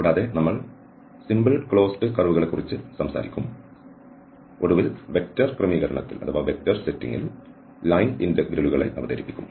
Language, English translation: Malayalam, And also we will be talking about the simple closed curves and then finally, we will introduce this line integrals in vector setting